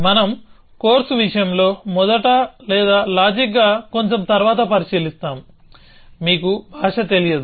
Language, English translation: Telugu, So, we will look at first or logical little bit later in the course case, you are not familiar with the language